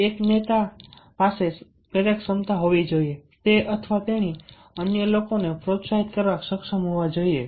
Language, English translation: Gujarati, a leader must have the motivating capacity ha ka he or she should be able to motivate others